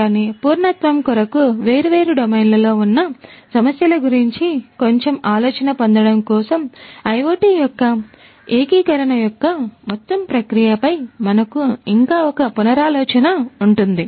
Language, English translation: Telugu, But still for completeness sake for getting a bit of idea about implementation issues in different different domains, let us still have a relook at the entire process of integration of IoT